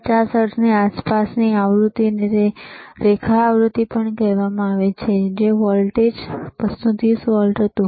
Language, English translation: Gujarati, Frequencies around 50 hertz is also called line frequency and the voltage was 230 volts